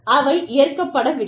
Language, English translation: Tamil, It is not accepted